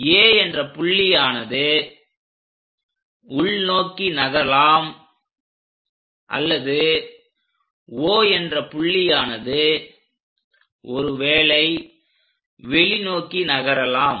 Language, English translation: Tamil, So, this A point perhaps moving either inside or perhaps O point which is going out in the direction outwards